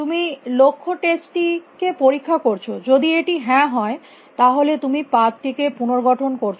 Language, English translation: Bengali, You do the goal test; if it is yes then you reconstruct the path